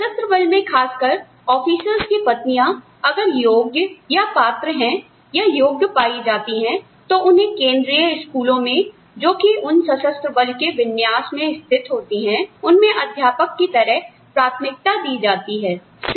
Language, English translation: Hindi, In the armed forces, specifically, the wives of the officers are, if qualified, if found qualified, they are preferred as teachers in the central schools, located in these armed forces set ups